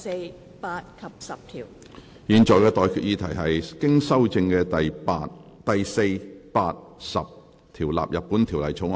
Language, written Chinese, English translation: Cantonese, 我現在向各位提出的待決議題是：經修正的第4、8及10條納入本條例草案。, I now put the question to you and that is That clauses 4 8 and 10 as amended stand part of the Bill